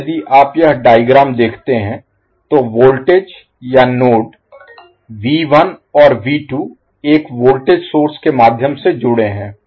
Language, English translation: Hindi, Now if you see this particular figure, the voltage or node, V 1 and V 2 are connected through 1 voltage source